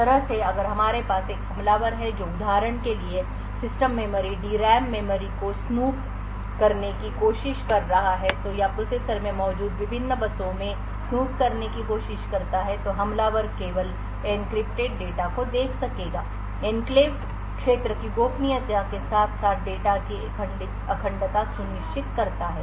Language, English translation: Hindi, So this way if we have an attacker who is trying to snoop into the system memory the D RAM memory for instance or try to snoop into the various buses present in the processor then the attacker would only be able to view the encrypted data so this ensures confidentiality of the enclave region as well as integrity of the data